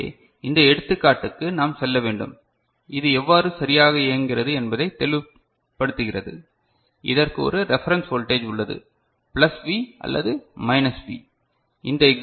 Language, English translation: Tamil, So, we need to go through this example which will be, which will make it clearer how it works right and this has got a reference plus V or minus V right, and in this example we have taken it as either plus 1 volt or minus 1 volt